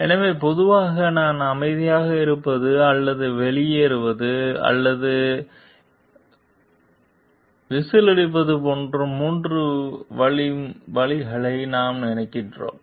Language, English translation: Tamil, So, like generally we think of three ways like I were to keep quiet or to quit or to blow the whistle